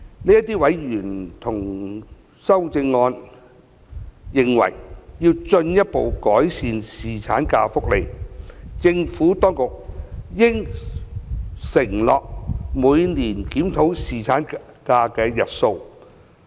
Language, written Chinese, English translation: Cantonese, 這些委員同意修正案，認為要進一步改善侍產假福利，政府當局應承諾每年檢討侍產假日數。, While agreeing to the amendment these members consider it necessary to further enhance the paternity leave benefits and opine that the Administration should undertake to review the duration of paternity leave annually